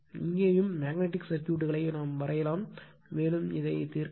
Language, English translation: Tamil, Here also we can draw the magnetic circuit, and we can solve like this right